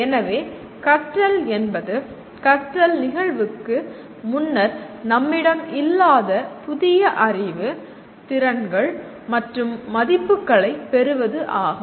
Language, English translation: Tamil, So learning is acquiring new knowledge, skills and values that we did not have prior to the event of learning